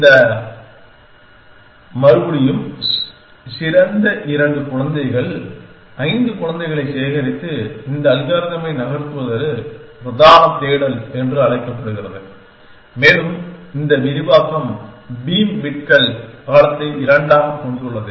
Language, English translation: Tamil, For this again thing the best two cumulate five children and move on this algorithm is called main search and this elastration has beam bits width into 2, so what have it done